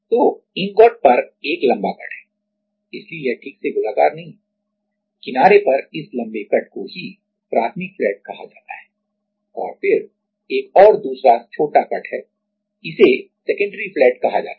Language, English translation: Hindi, So, there is a long cut, so this is not properly circular that there is a long cut at the edge which is called primary flat and then there is another small cut which is called secondary flat